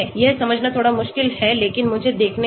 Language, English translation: Hindi, This is slightly difficult to understand but let me see